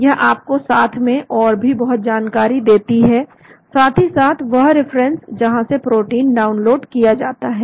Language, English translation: Hindi, it gives you a lot of information in addition, plus the references from which protein is downloaded